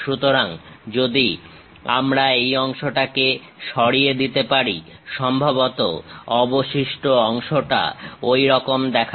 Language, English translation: Bengali, So, if we can remove this part, the left over part perhaps looks like that